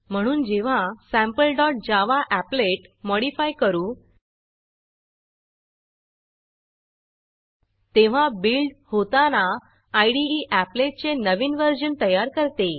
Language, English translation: Marathi, Therefore, when we modify the Sample dot java applet the IDE builds a new version of the applet whenever this is built